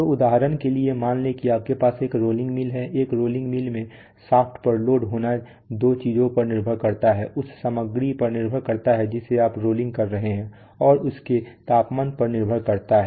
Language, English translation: Hindi, So, or for example suppose you have a rolling mill, so in a rolling mill be load on the shaft is depends on two things, depends on the material that you are rolling, and depends on its temperature